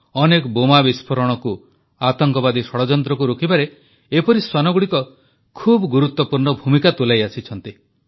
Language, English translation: Odia, Such canines have played a very important role in thwarting numerous bomb blasts and terrorist conspiracies